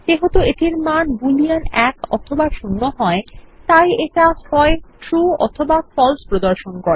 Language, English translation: Bengali, Since this holds Boolean values 1 or 0, it displays True or False